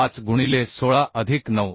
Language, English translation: Marathi, 5 into 16 plus 9